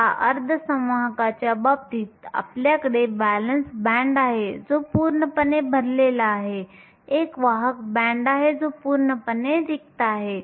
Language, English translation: Marathi, Now, In the case of a semiconductor, we have a valence band that is completely full; we have a conduction band that is completely empty